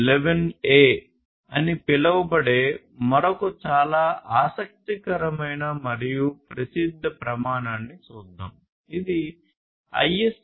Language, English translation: Telugu, Now, let us look at another very interesting and popular standard which is known as the ISA 100